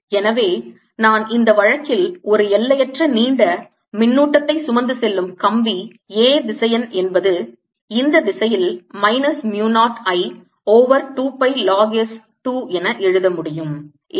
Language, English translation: Tamil, i can also choose a phi to be zero and therefore i can write, in this case of an infinitely long current carrying wire, a vector to be minus mu, not i, over two pi log s in this direction